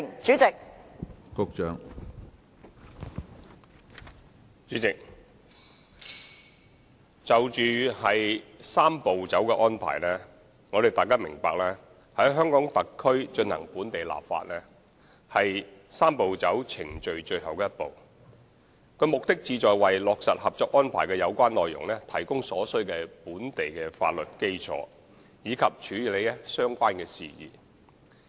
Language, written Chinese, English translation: Cantonese, 主席，關於"三步走"程序，大家必須明白，在香港特區進行本地立法是"三步走"程序的最後一步，其目的是就着落實《合作安排》的有關內容，提供所需的本地法律基礎，以及處理相關事宜。, President Members must realize that the enactment of local legislation in the Hong Kong Special Administrative Region HKSAR is the final step of the Three - step Process and its objectives are to provide the basis of local legislation required for the implementation the Co - operation Arrangement and to handle related issues